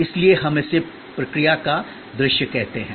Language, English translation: Hindi, So, we call it visualization of the process